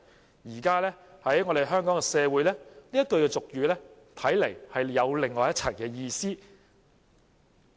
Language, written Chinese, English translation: Cantonese, 在現今香港社會，這句俗語看來另有一番意思。, Nowadays in the society of Hong Kong it seems that this common saying has taken on another meaning